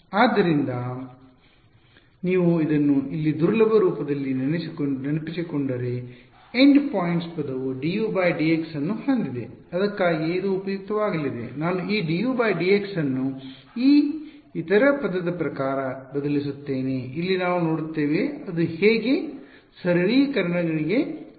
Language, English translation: Kannada, So, you notice if you recall over here this in the weak form the endpoints term has a d U by d x right that is why this is going to be useful I will substitute this d U by d x in terms of this other term over here we will see how it leads to simplifications